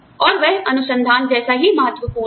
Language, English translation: Hindi, And, that is just, as important as, research